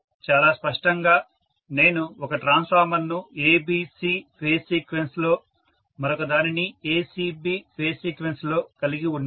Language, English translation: Telugu, So very clearly I can’t have one of the transformer in ABC phase sequence, the other one in ACB phase sequence, this cannot be done